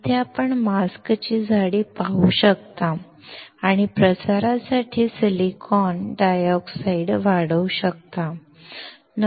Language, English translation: Marathi, Here, you can see the mask thickness and can grow the silicon dioxide for diffusion